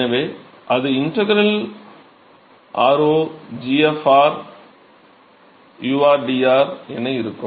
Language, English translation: Tamil, So, that will be integral r0 g of r u into rdr ok